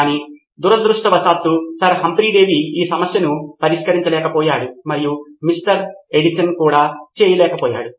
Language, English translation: Telugu, But unfortunately neither could Sir Humphry Davy solve this problem and neither could Mr